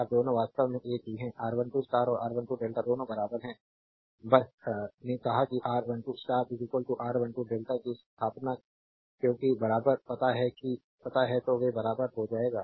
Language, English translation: Hindi, Now both are actually same R 1 2 star and R 1 2 delta both are equal just we said that setting R 1 2 star is equal to R 1 2 delta because you have to find out equivalent hence they will be equal